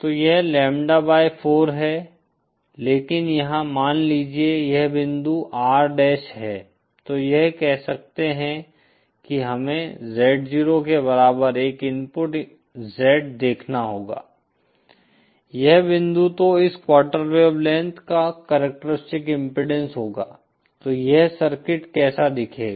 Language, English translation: Hindi, So this is lambda by 4 but here theÉsuppose this point is R dash then this will can say we have to see an input Z in equal to Z 0, this point so then the characteristic impedance of this quarter wavelength will beÉso this is what the circuit would look like